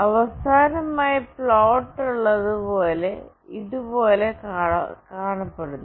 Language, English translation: Malayalam, Finally, the plot looks somewhat like this